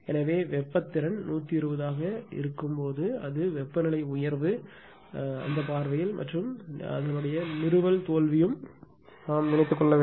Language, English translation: Tamil, So, when it language will be something like this the thermal capability 120 it thinks about from the temperature raise point of view ah and a installation failure also right